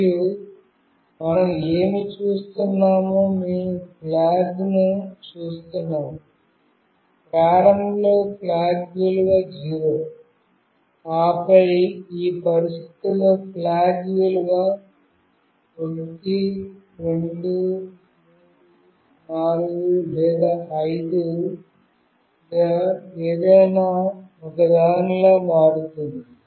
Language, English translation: Telugu, And what we are doing in this check, we are seeing flag , and then in any one of these conditions the flag value will change to either 1, 2, 3, 4 or 5